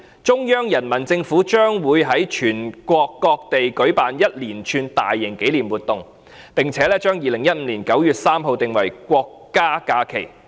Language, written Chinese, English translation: Cantonese, 中央人民政府將會於全國各地舉辦一連串大型紀念活動，並將2015年9月3日訂為國家假期。, The Central Peoples Government will organize a range of large - scale commemorative activities throughout the Mainland and has also designated 3 September 2015 as a national holiday